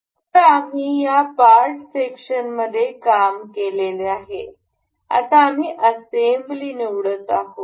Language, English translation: Marathi, Earlier you we used to work in this part section, now we will be selecting assembly